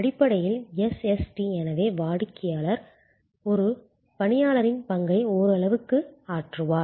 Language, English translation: Tamil, Fundamentally SST therefore, means that customer will play the part partially of an employee